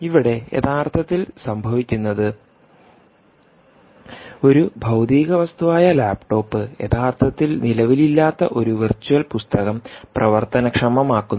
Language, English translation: Malayalam, ok, so now what is actually happening is the laptop, which is a physical thing, is triggering a virtual book which actually doesn't exist right in in terms of a tangible presence